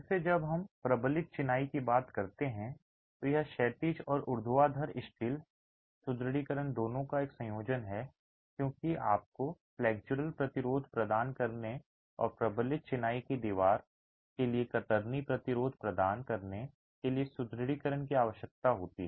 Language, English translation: Hindi, Again, when we talk of reinforced masonry, it is a combination of both horizontal and vertical steel reinforcement because you need reinforcement to provide flexual resistance and provide shear resistance to the reinforced masonry wall